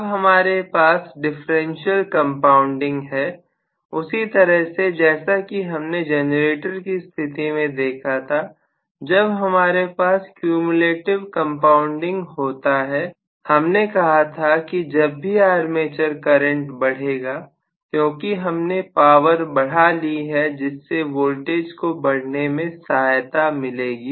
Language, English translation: Hindi, Now, if we have a differential compounding, just like what we had in the case of the generator, whenever we had cumulative compounding, we said that every time there is an increase in the armature current because of an increase in the power delivery, we are going to have maybe the voltage building up further